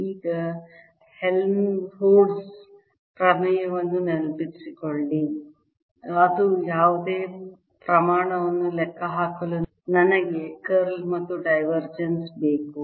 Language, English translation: Kannada, now recall helmholtz theorem that says that to calculate any quantity i need its curl as well as divergence